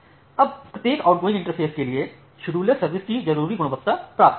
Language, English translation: Hindi, Now for each outgoing interface, the scheduler achieves the desired quality of service